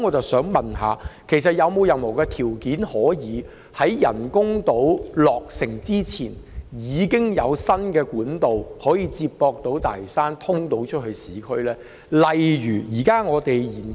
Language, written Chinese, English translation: Cantonese, 我想問特首，其實有否任何條件可以在人工島落成前，提供接駁大嶼山與市區的新幹道？, May I ask the Chief Executive if there are conditions for the provision of new trunk roads linking Lantau and the urban areas before the completion of the artificial islands?